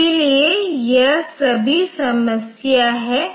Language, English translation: Hindi, So, it is like that